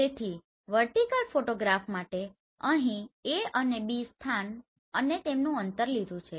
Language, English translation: Gujarati, So for a vertical photograph I have taken this A and B location and their distance right